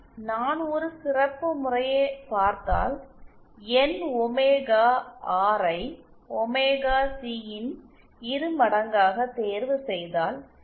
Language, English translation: Tamil, If we see for a special case if I chose my omega r is equal to twice the omega c